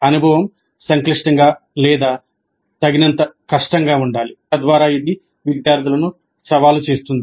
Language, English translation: Telugu, The experience must be complex or difficult enough so that it challenges the students